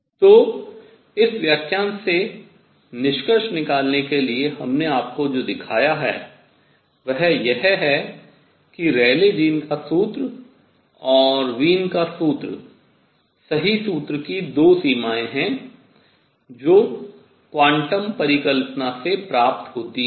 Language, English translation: Hindi, So, to conclude this lecture what we have shown you is that the Rayleigh Jean’s formula and the Wien’s formula are 2 limits of the correct formula which is derived from quantum hypothesis